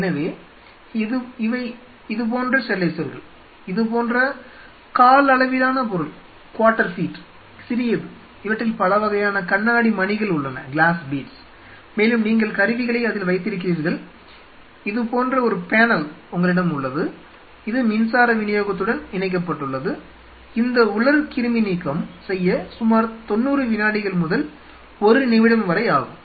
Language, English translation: Tamil, So, these have these are sterilizer something like this they are small like water feet stuff like this and there are lot of glass bead kind of a stuff in them and you keep the instruments in it and you have a panel like this, and it is connected to the power supply and this dry sterilization takes around 90 seconds to a minute